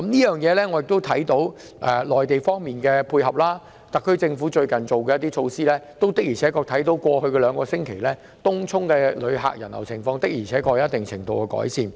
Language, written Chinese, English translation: Cantonese, 由於內地政府的配合，特區政府最近推行措施後，過去兩星期東涌的旅客人流情況確實有一定程度改善。, Given the support of the Mainland authorities the SAR Government has recently carried out measures . In the past two weeks the tourist traffic in Tung Chung has actually improved to a certain extent